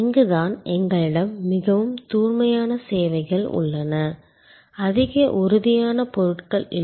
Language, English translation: Tamil, This is where we have most pure services, not having much of tangible goods associated